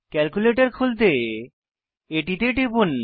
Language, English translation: Bengali, Lets open the calculator by clicking on it